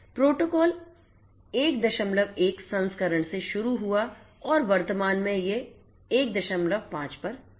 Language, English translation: Hindi, The protocol started from the 1 dot 1 version and currently it is at 1 dot 5